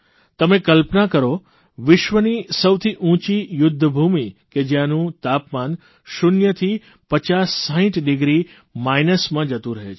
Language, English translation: Gujarati, Just imagine the highest battlefield in the world, where the temperature drops from zero to 5060 degrees minus